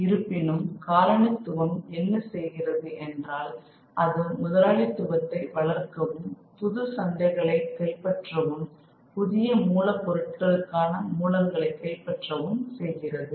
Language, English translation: Tamil, However, what colonialism does is allows capitalism to go and capture new markets and capture newer sources of raw materials